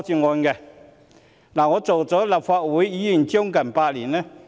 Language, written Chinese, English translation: Cantonese, 我已擔任立法會議員將近8年。, I have been serving as a Legislative Council Member for some eight years